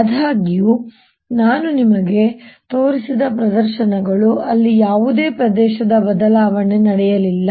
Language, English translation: Kannada, however, the demonstration i showed you was those where no change of area took place